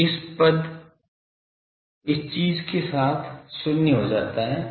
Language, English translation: Hindi, So, this term goes to 0 with the thing